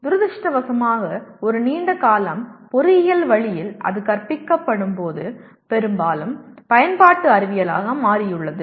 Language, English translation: Tamil, Unfortunately over a long period of time, engineering way it is taught has predominantly become applied science